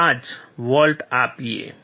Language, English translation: Gujarati, 5 volts first